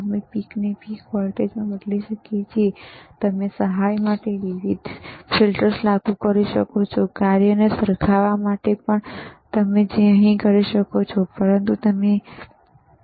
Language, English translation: Gujarati, wWe can change the peak to peak voltage, you can you can apply different filters to aid, even to match function, which you can we here but not you cannot do here